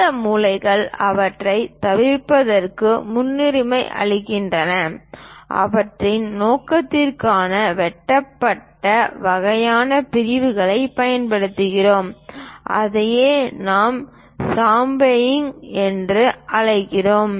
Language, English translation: Tamil, These corners preferably better to avoid them so, for their purpose, either we use cut kind of sections that is what we call chamfering